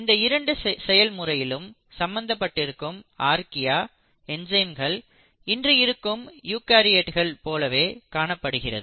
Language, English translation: Tamil, You find that the enzymes involved in these 2 processes in Archaea are very similar to the present day eukaryotes the higher end organisms